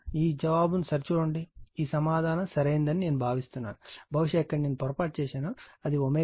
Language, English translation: Telugu, Just check this answer I think this answer is correct, perhaps this I missed this one, it will be omega 0 right